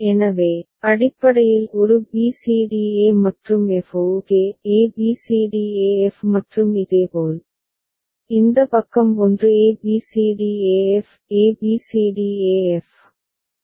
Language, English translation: Tamil, So, basically a b c d e and f ok; a b c d e f and similarly, this side one a b c d e f; a b c d e f